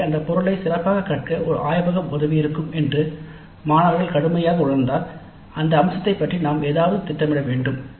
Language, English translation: Tamil, So if the students strongly feel that a laboratory would have helped in learning that material better, then we need to plan something regarding that aspect